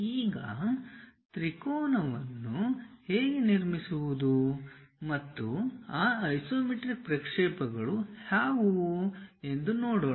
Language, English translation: Kannada, Now, let us look at how to construct a triangle and what are those isometric projections